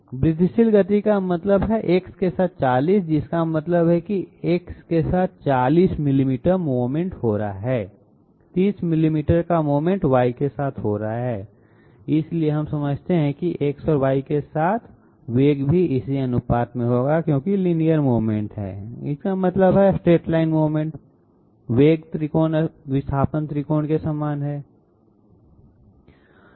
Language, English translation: Hindi, Incremental motion means 40 along X that means 40 millimeters of movement is taking place along X, 30 millimeters of movement is taking along Y taking place along Y, so we understand that the velocities along X and Y will also be in this ratio because in linear movement that means in straight line movement, the velocity triangle is similar to the displacement triangle